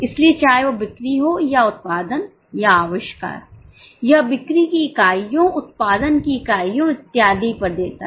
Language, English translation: Hindi, So, whether it is sales or production or inventories, it gives the units of sales, units of production, and so on